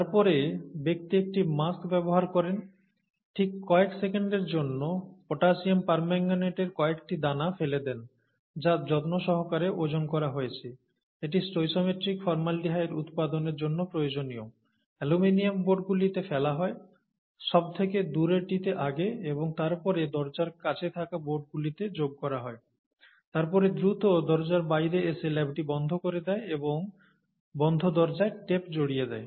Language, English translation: Bengali, And then, the person uses a mask and so on, just for those few seconds, drops a few pellets of potassium permanganate, that are carefully weighed out for, required for the stoichiometric release of formaldehyde and so on, drops in the aluminum boards, farthest first, and then keeps dropping in the boards that are closer to the door, and then quickly walks out the door, shuts the lab, and tapes the door shut